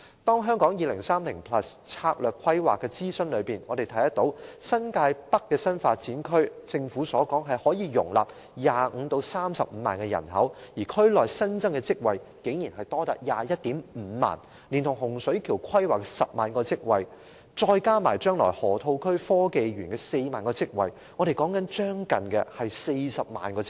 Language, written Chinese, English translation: Cantonese, 就《香港 2030+》策略規劃進行的諮詢，我們看到新界北新發展區可容納 250,000 至 300,000 人口，而區內的新增職位竟多達 215,000 個，連同洪水橋規劃的 100,000 個職位，以及未來河套區港深創新及科技園的 40,000 個職位，將會增加近 400,000 個職位。, Regarding the consultation on strategic planning made in relation to Hong Kong 2030 we can see that the new development areas in New Territories North can according to the Government accommodate a population of 250 000 to 300 000 with the number of newly created job vacancies therein reaching 215 000 . Coupled with the 100 000 vacancies planned for Hung Shui Kiu and the 40 000 vacancies to be created in the Hong Kong - Shenzhen Innovation and Technology Park in the Loop in the future nearly 400 000 posts will be created